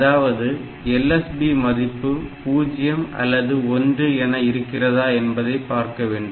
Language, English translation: Tamil, So, whether the LSB was either 0 or 1 we check that way